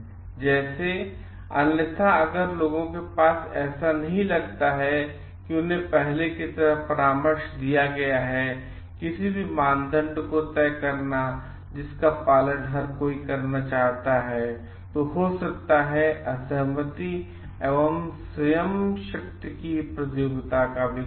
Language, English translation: Hindi, And like, otherwise like if the people don t feel like they have been consulted like before fixing up any criteria which everyone is going to adhere to then it may lead to disagreements and develop contests of will